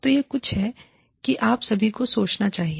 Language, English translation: Hindi, So, this is something, that you all should think about